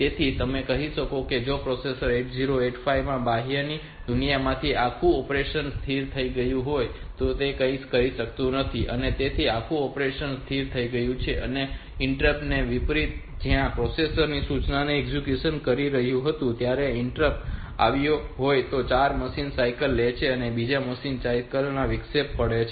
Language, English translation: Gujarati, So, 8085 from the outside world you can say that as if this entire operation has frozen so it is not doing anything so it entire operation is frozen and unlike interrupt where if the interrupt had if an interrupt had occurred when the processor was executing this instruction I which takes 4 machine cycles and interrupt has occurred in the second machine cycle